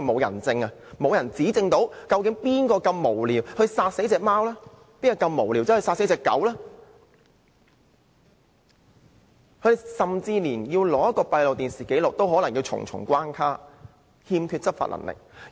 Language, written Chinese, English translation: Cantonese, 由於沒有人證可以指證殺害貓狗的無聊人，甚至連取用閉路電視紀錄也關卡重重，動物督察欠缺執法所需的權力。, Since there is no eyewitness to testify against those senseless people who killed cats and dogs and even the acquisition of CCTV record has to go through many barriers animal inspectors do not have the necessary power to enforce the law